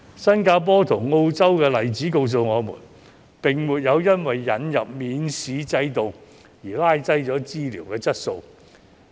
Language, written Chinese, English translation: Cantonese, 新加坡及澳洲的例子告訴我們，當地並沒有因為引入免試制度而拉低了醫療質素。, The examples of Singapore and Australia demonstrated that the introduction of examination - free admission did not lower the quality of local healthcare